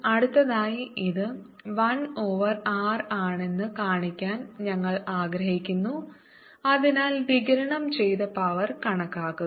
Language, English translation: Malayalam, next, you want to show that it is one over r and therefore calculate the power radiant